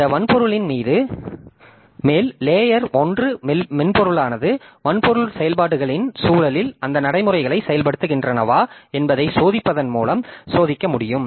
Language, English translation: Tamil, On top of that hardware, so the layer one software, so it can be tested by checking whether those routines are working in the context of operations by the hardware